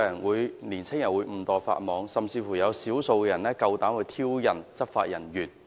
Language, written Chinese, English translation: Cantonese, 為何青年人會誤墮法網，甚至有少數人膽敢挑釁執法人員？, Why did these young people make the mistake of breaking the law? . And why did a handful of them even dared to provoke law enforcement officers?